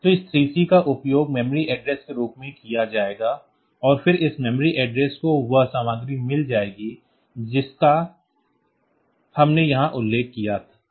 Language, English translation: Hindi, So, this 3 C will be used as the memory address and then this memory address will be going to this memory address 3 C will be getting the content that we mentioned here